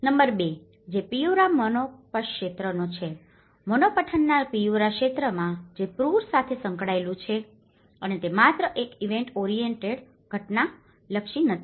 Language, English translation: Gujarati, Number 2 which is of Piura Morropón region; in Piura region in Morropón which has been associated with the floods and it is not just only a one event oriented